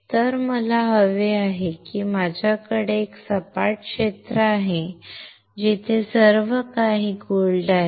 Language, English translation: Marathi, So, what I want is I have a flat area where everything is gold